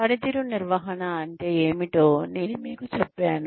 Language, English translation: Telugu, I told you, what performance management means